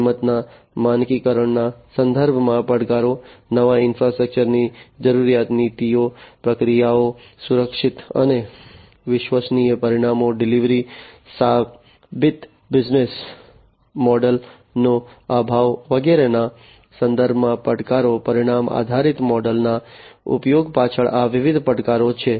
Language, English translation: Gujarati, Challenges with respect to the standardization of the price, challenges with respect to the requirement of new infrastructure, policies, processes, safe and reliable outcome delivery, lack of proven business models etcetera, these are different challenges behind the use of outcome based model